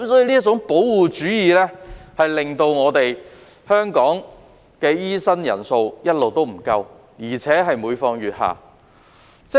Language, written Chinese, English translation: Cantonese, 這種保護主義導致香港的醫生人數一直不足，而且每況愈下。, Such protectionism has resulted in the persistent shortage of doctors in Hong Kong and the situation is becoming more acute